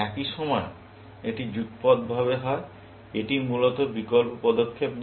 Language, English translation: Bengali, At the same time, this is simultaneous; this is not alternative move, essentially